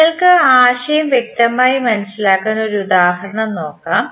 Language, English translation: Malayalam, So, let us take an example so that you can understand the concept clearly